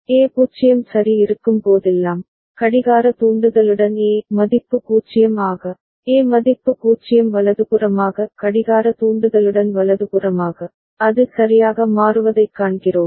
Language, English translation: Tamil, Whenever there is A 0 ok, with the clock trigger A as value 0, A as value 0 right with the clock trigger right, we see that it is changing right